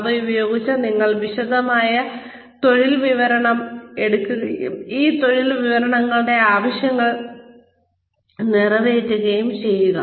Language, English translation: Malayalam, Using, then you take detailed job description, and try and cater to the needs, of these job descriptions